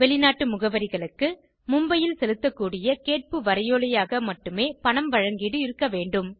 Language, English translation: Tamil, For foreign addresses, payment can be made only by way of Demand Draft payable at Mumbai